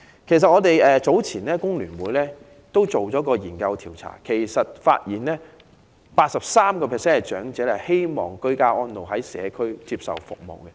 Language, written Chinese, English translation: Cantonese, 工聯會早前曾經進行調查，發現 83% 長者希望居家安老，在社區接受長者服務。, According to a previous FTUs survey 83 % of elderly persons prefer ageing in place with the support of community care services